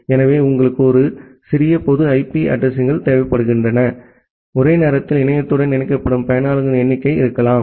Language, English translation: Tamil, So, you require a small set of public IP addresses may be the number of users who are getting connected to the internet simultaneously